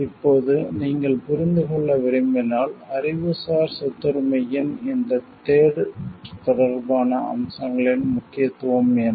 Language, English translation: Tamil, Now, if you want to understand; what is the importance of this trade related aspects of Intellectual Property Rights